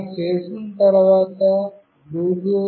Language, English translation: Telugu, After doing this, the bluetooth